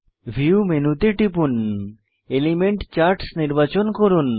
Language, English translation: Bengali, Click on View menu, select Elements Charts